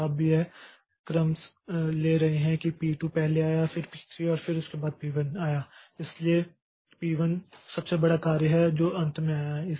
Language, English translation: Hindi, Now we are taking the order that p2 came first followed by p3 and then followed by p1